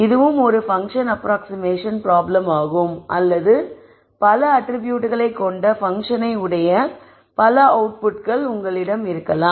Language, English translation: Tamil, This is also a function approximation problem or you could also have many outputs which are a function of many attributes